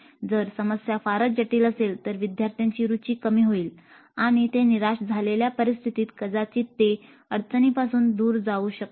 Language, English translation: Marathi, The problem is too complex the learners may lose interest and they may become in a kind of disappointed mode turn away from the problem